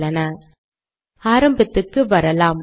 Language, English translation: Tamil, Lets go to the beginning